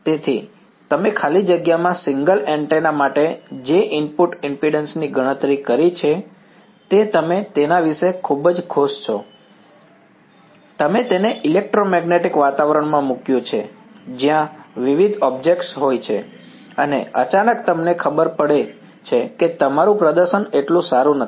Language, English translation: Gujarati, So, the input impedance that you have calculated for a single antenna in free space you were very happy about it, you put it into an electromagnetic environment where there are various objects and suddenly you find that your you know your performance is not so good right